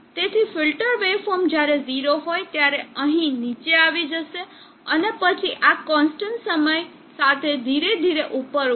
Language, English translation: Gujarati, So the filter wave form will fall down here when it is 0, and then rise up gradually with the time constant like this